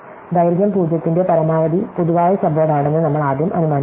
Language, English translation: Malayalam, So, we initially assume that the maximum common subword of length 0